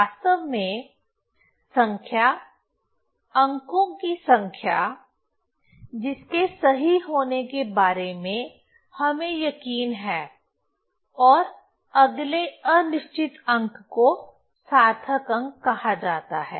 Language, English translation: Hindi, Actually the number, the number of digits about the correctness of which we are sure plus the next doubtful digit are called the significant figures